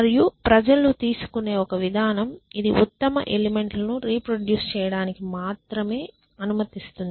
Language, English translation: Telugu, And this is the one approach that people take just say only allow the best people to reproduce